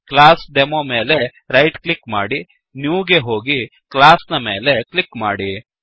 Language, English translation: Kannada, So, right click on ClassDemo, go to New and click on Class